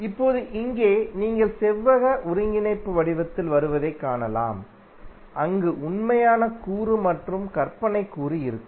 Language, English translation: Tamil, Now, here you can see that the result would come in the form of rectangular coordinate where you will have real component as well as imaginary component